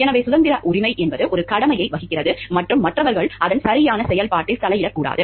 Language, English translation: Tamil, So, it is the liberty right that places an obligation and others not to interfere with its proper exercise